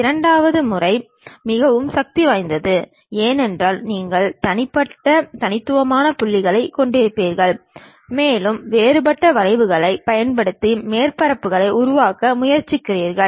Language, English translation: Tamil, The second method is most powerful because you will be having isolated discrete points and you try to construct surfaces using different kind of curves through which